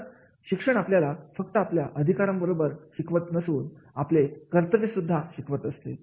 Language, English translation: Marathi, So, education educates us to make the aware about not only about our rights but also about our duties